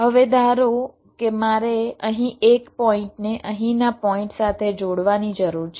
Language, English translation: Gujarati, now suppose i need to connect a point here to a point here